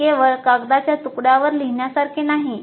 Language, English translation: Marathi, This is not just some something to be written on a piece of paper